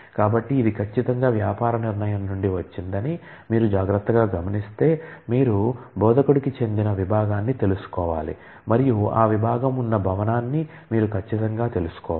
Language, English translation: Telugu, So, if you look carefully that this certainly comes from the business decision that you need to know the department to which an instructor belongs and certainly you need to know the building in which that that department exists